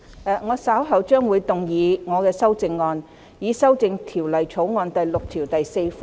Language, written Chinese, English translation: Cantonese, 律政司司長會動議修正案，旨在修正第6條。, Secretary for Justice will move an amendment which seeks to amend clause 6